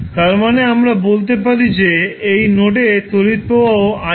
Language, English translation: Bengali, That means that let us say that node this is the current ir